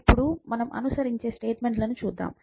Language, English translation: Telugu, Now, let us look at the statements that follow